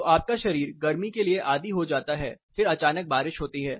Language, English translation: Hindi, So, your body gets acclimatized to the heat, suddenly it rains